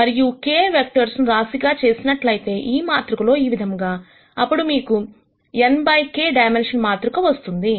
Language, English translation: Telugu, And when you stack k vectors like this in a matrix, then you would get a matrix of dimension n by k